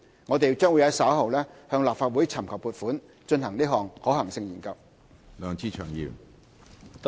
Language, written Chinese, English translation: Cantonese, 我們將於稍後向立法會尋求撥款，以進行可行性研究。, We will seek funding from this Council later for conducting the feasibility study